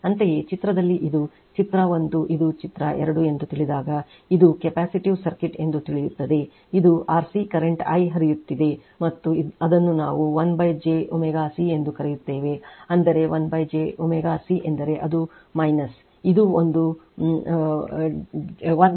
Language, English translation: Kannada, Similarly, in figure this is figure 1 say this is figure 2 say it is a capacitive circuit it is R current is flowing I and it is your what we call1 upon j omega C that is 1 upon j omega C means it is minus your this one upon j omega C means it is minus j by omega C right